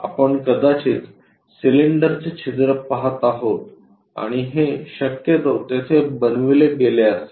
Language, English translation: Marathi, We might be going to see and this cylinder hole possibly it must have been made it there